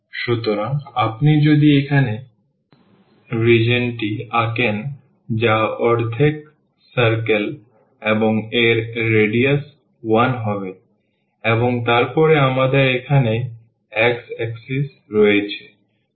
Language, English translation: Bengali, So, if you draw the region here that will be this half circle with radius 1 and then we have here the x axis